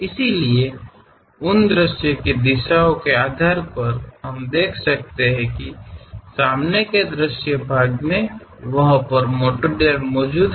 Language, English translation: Hindi, So, based on those view directions, we can see that the front view portion have that material element